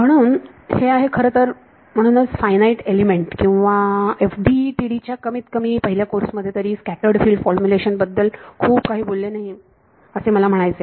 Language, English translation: Marathi, So, this is that is why I mean in at least in the first course in finite element or FDTD they do not talk about scattered field formulation very much, but you can see it is not that difficult